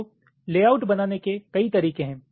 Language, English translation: Hindi, so there are multiple ways of creating the layout